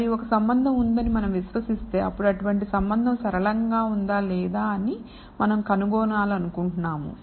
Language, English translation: Telugu, And if we believe there is a relationship, then we would not want to find out whether such a relationship is linear or not